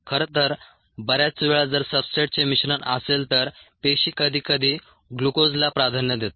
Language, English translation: Marathi, if there is a mixture of substrates, cells tend to prefer glucose